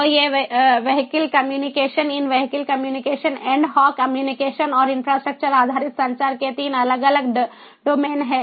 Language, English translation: Hindi, so these are the three different domains of vehicular communication in vehicle communication: ad hoc communication and infrastructure based communication